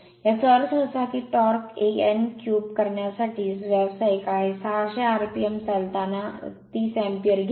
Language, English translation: Marathi, That means, torque is professional to n cube, while running at 600 rpm it takes 30 ampere